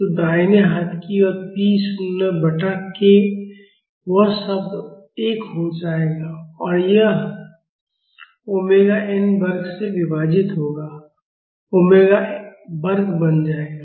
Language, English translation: Hindi, So, right hand side will become p naught by k, this term will become 1 and this will become omega square divided by omega n square